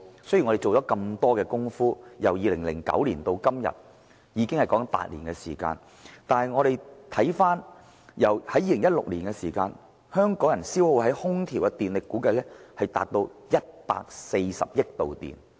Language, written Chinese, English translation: Cantonese, 雖然我們做了很多工夫，由2009年至今已有8年，但香港人在2016年消耗在空調上的電力，估計達至140億度電。, Although much has been done in the eight years since 2009 the electricity consumed in air conditioning in Hong Kong was estimated to reach 1.4 billion kWh in 2016